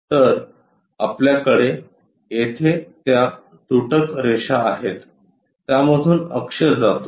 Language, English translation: Marathi, So, we have that dashed lines here axis pass through that